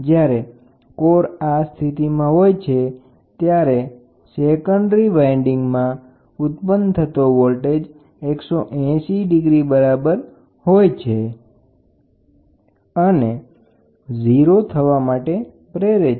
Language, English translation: Gujarati, When the core is in this position, the induced voltage in the secondary winding are equal and 180 degrees out of phase which tries to maintain zero